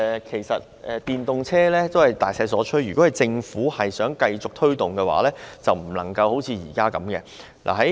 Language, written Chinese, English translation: Cantonese, 其實，電動車已是大勢所趨，如果政府想繼續推動，便不能像現在這樣。, Actually electric vehicles have already become a general trend . If the Government wants to continue promoting such vehicles it should not keep acting in the way as it is now